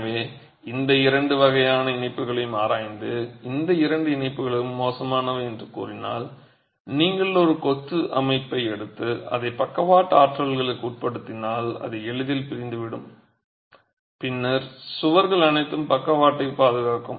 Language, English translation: Tamil, So, if you were to examine these two types of connections and say both these connections are poor, then if you take a masonry structure and subject it to lateral forces, it will easily separate and then the walls are all left by themselves to defend the lateral forces